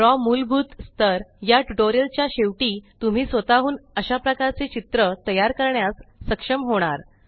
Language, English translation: Marathi, At the end of the basic level of Draw tutorials, you will also be able to create a similar diagram by yourself